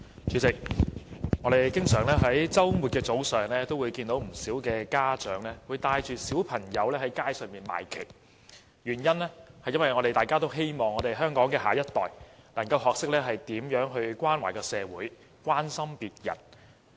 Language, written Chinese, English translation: Cantonese, 主席，我們在周末早上經常會看見不少家長帶同小孩到街上賣旗，因為我們希望香港的下一代能夠學懂如何關懷社會和關心別人。, President we often see parents accompanying their children on weekend mornings to sell flags for charities on the street . We want our next generation to learn how to care for society and other people